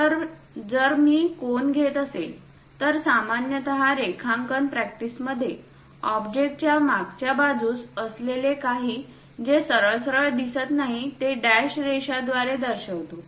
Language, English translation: Marathi, So, if I am taking a cone, so, usually in drawing practice, anything behind the object which is not straightforwardly visible, we show it by dashed lines